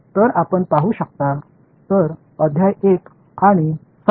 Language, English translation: Marathi, So, you can look at; so, chapter 1 and 7